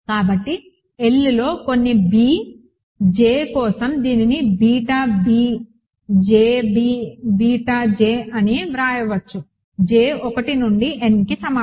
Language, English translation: Telugu, So, this can be written as beta b j b beta j for some b j in L, right j equal to 1 to n